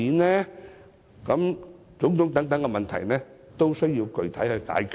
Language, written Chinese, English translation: Cantonese, 凡此種種的問題，均需要具體解決。, All these problems demand concrete solutions